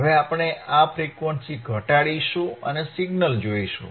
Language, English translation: Gujarati, Now we will decrease this frequency, we will decrease the frequency and look at the signal